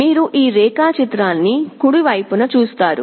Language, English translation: Telugu, You see this diagram on the right